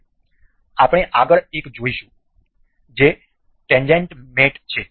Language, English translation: Gujarati, Now, we will see the next one that is tangent mate